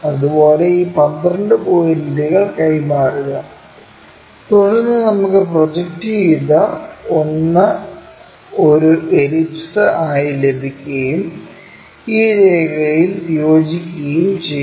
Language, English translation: Malayalam, Similarly, transfer these 12 points, then we will have the projected one as an ellipse and join this line